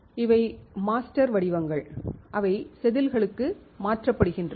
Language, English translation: Tamil, So, these are master patterns which are transferred to the wafers